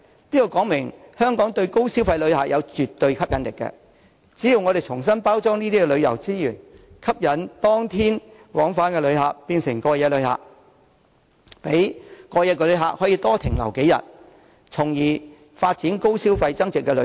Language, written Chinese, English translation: Cantonese, 這說明香港對高消費旅客是絕對有吸引力，我們應重新包裝這些旅遊資源，吸引當天往返旅客變為過夜旅客，讓過夜旅客多停留數天，從而發展高消費增值旅遊。, This has best illustrated Hong Kongs attractiveness to high spending visitors and we should repackage our tourist resources to turn day trip visitors to overnight visitors and encourage overnight visitors to stay a few days more so as to move our tourism industry up the value chain